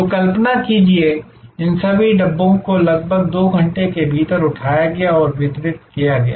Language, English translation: Hindi, So, imagine that all these Dabbas are picked up within a span of about 2 hours and delivered